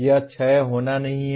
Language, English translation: Hindi, It does not have to be 6